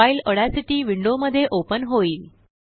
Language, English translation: Marathi, The file opens in the Audacity window